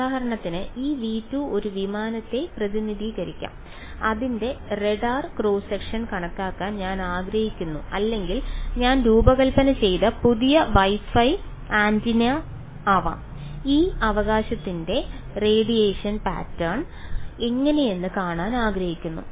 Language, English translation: Malayalam, For example, this v 2 could represent an aircraft and I want to calculate its radar cross section or it could be some new Wi Fi antenna I have designed I want to see how its radiation pattern of this right